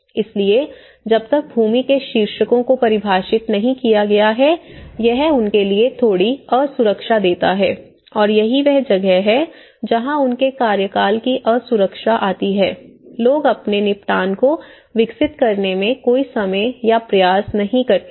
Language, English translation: Hindi, So, the moment land titles are not defined that gives a little insecurity for them and that is where their insecurity of tenure, people spend no time or effort in developing their settlement